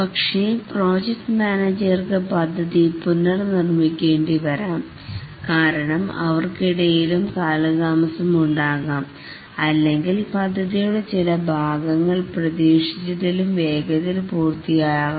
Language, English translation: Malayalam, But then the project manager might have to rework the plan because even in spite of that there will be delays or there may be some part of the project may get completed quickly than anticipated and so on